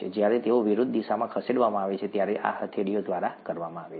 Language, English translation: Gujarati, These are exerted by the palms when they are moved in opposite directions